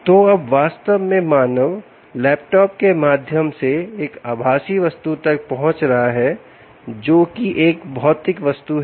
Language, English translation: Hindi, so now the human is actually accessing a virtual object through the laptop, which is a physical object